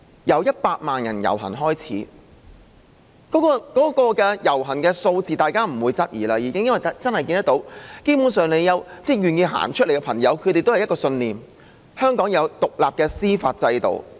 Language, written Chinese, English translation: Cantonese, 由100萬人遊行開始，大家已經不會質疑遊行人士的數字，因為大家真的看到，願意參與的朋友都有一個信念，就是香港要有獨立的司法制度。, Since the procession with a million participants people have stopped doubting the turnout . It is evident that those willing to participate all hold the belief that an independent judicial system is essential to Hong Kong